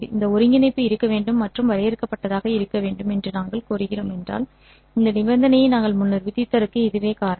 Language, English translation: Tamil, If we demand that this integral must exist and must be finite, that is the reason why we had earlier also imposed this condition